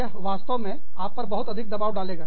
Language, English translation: Hindi, And, that really puts a lot of pressure, on you